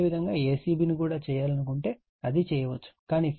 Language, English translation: Telugu, If you want to make a c b also, it can be done